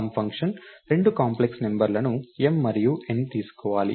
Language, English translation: Telugu, So, the sum function is supposed to take two complex numbers m and n